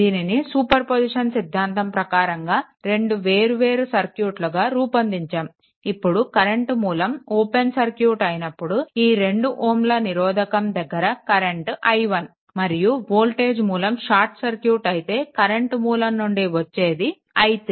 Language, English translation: Telugu, So, after breaking after getting this 2 different circuit because of superposition theorem, so now, in this case for 2 ohm resistance, when current source is open it is current i 1 and when your voltage source is shorted, but current source is there i 3